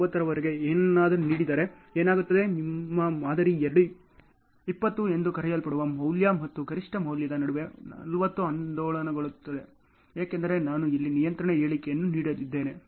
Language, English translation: Kannada, 9 something, what happens is your model will oscillate between the value called 20 and the maximum value as 40 ok, because I have made a control statement here ok